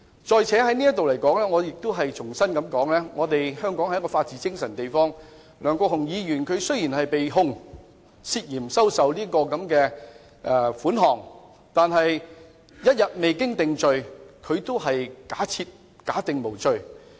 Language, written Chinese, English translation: Cantonese, 再者，我亦想在此重申，香港是一個講求法治精神的地方，梁國雄議員雖然被控涉嫌收受款項，但一日未經定罪，仍假定他是無罪的。, Furthermore I would also like to reiterate here that Hong Kong is a place that attaches importance to the rule of law . Though Mr LEUNG Kwok - hung is being prosecuted for the alleged acceptance of payment he is still presumed innocent until convicted